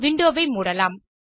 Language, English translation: Tamil, I will close this window